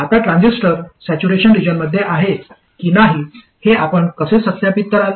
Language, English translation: Marathi, Now how do you verify whether the transistor is in saturation region